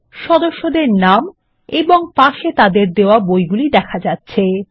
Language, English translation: Bengali, Here are the member names, along with the books that were issued to them